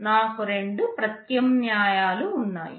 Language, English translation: Telugu, I have two alternatives